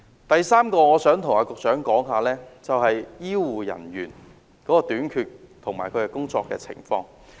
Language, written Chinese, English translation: Cantonese, 第三個項目，我想對局長說的是醫護人員的短缺及工作情況。, The third item that I want to tell the Secretary is about the shortage of health care manpower and their working condition